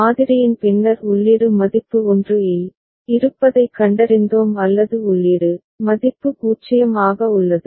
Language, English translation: Tamil, After sampling we found that the input is at value 1 or input is value at 0